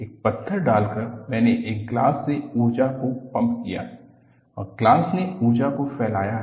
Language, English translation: Hindi, By putting a stone, I have pumped in energy to this glass and glass has to dissipate the energy